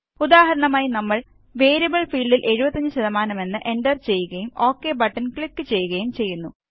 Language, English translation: Malayalam, For example,we enter the value as 75% in the Variable field and then click on the OK button